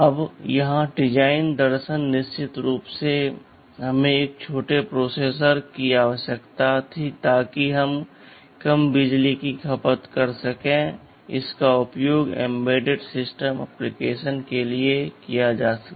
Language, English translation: Hindi, Now the design philosophy here was of course , first thing is that we need a small processor so that we can have lower power consumption and can be used for embedded systems application